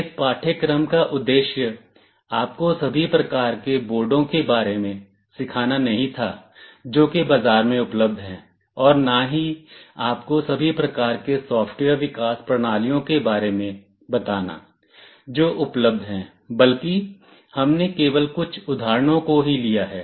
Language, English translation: Hindi, The objective of this course was not to teach you about all the kinds of boards that are available in the market, to tell you about all the kinds of software development systems which are available, but rather we have taken a couple of examples only